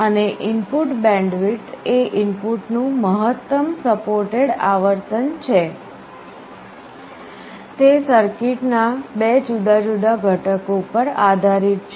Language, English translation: Gujarati, And input bandwidth is the maximum frequency of the input that can be supported, it depends on two different components of the circuit